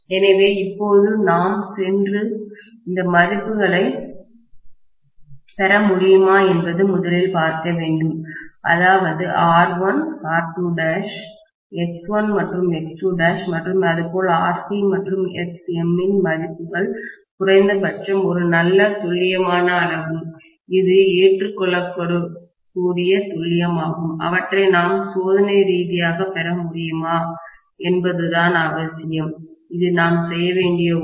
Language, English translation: Tamil, Okay, so having said that, now we have to go and take a look at first of all whether we would be able to get these values, that is R1, R2 dash, X1 and X2 dash and similarly the values of Rc and Xm at least to a good accurate extent, that is acceptable accuracy, whether we will be able to get them experimentally, that is one thing we will have to do